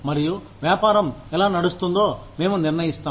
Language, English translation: Telugu, And, how the business runs is, what we decide